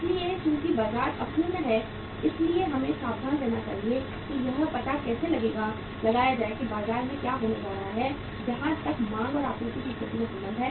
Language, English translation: Hindi, So since the market is imperfect we should be careful how to find out what is going to happen in the market as far as the demand and supply situation is concerned